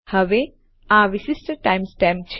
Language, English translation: Gujarati, Now this is the unique time stamp